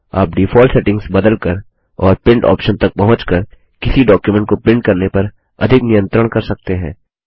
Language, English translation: Hindi, You can have more control over printing any document by accessing the Print option and changing the default settings